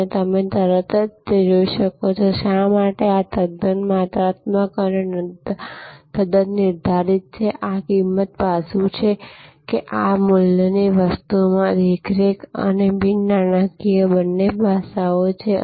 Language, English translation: Gujarati, And as you can immediately see that, why this is quite quantitative and quite deterministic, this cost aspect that this value thing has both monitory and non monitory aspects